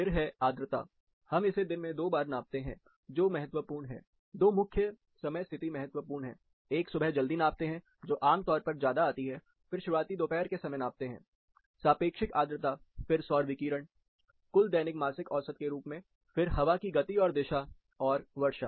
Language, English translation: Hindi, Followed by humidity, we take twice in a day, which is important, two main time positions are important, one is early morning, which is typically high, then early afternoon, relative humidity, solar radiation in terms of monthly mean daily total, then wind, speed and direction, and rainfall